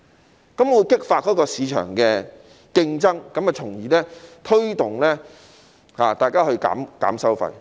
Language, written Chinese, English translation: Cantonese, 這樣便會激發市場的競爭，從而推動受託人減低收費。, It will spur competition in the market which will thus prompt the trustees to reduce their fees